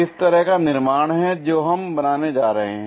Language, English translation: Hindi, Such kind of construction what we are going to make it